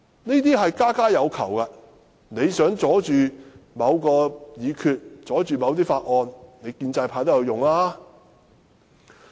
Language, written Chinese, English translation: Cantonese, 這事家家有求，你想阻礙某項議決、法案通過，建制派也會"拉布"。, Even the pro - establishment camp will filibuster if they want to stall the passage of certain resolutions or bills